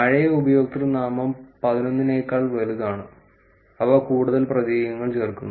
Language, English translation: Malayalam, Old username greater than eleven which are getting, they are adding more characters